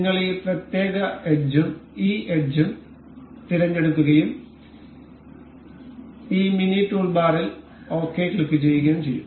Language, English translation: Malayalam, We will select this particular edge and this edge and we will click ok in this mini toolbar